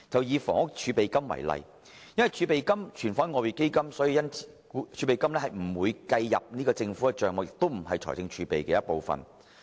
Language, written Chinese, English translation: Cantonese, 以房屋儲備金為例，由於儲備金是存放於外匯基金，所以不會計算在政府帳目內，同時亦不屬於財政儲備的一部分。, Take the Housing Reserve as an example . Since it is retained within the Exchange Fund it is kept outside the Governments accounts and does not form part of the fiscal reserves